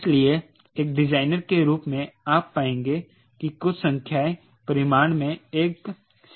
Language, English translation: Hindi, ok, so as a designer, you will find sometime numbers where having this magnitude less than one